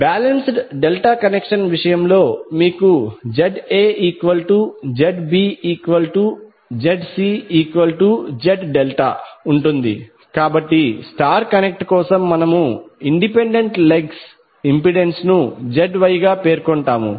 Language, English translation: Telugu, In case of balanced delta connection you will have ZA, ZB, ZC all three same so you can say simply as Z delta, so for star connected we will specify individual legs impedance as ZY